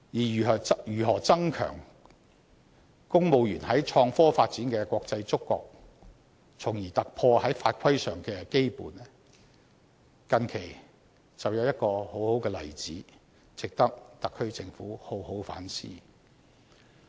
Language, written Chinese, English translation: Cantonese, 如何增強公務員在創科發展的國際觸覺，從而突破法規上的羈絆，近期就有一個很好的例子，值得特區政府好好反思。, How can civil servants have a stronger international sense of innovation and technology development and break away from the fetters imposed by laws and regulations? . Recently there is a good example worthy of consideration by the SAR Government